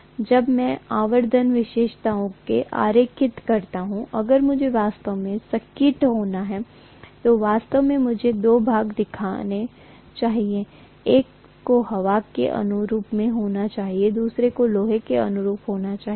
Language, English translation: Hindi, So when I draw the magnetization characteristics, actually I should show two portions if I have to be really really accurate, one should be corresponded to air, the other one should be corresponding to iron